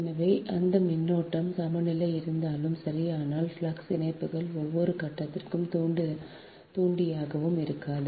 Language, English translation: Tamil, so even if that currents is balance, right, but flux linkages is an inductance of each phase, will not be the same